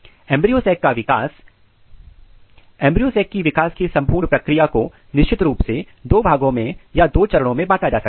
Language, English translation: Hindi, Embryo sac development, so this entire process of embryo sac development can be clearly divided into two groups or two stages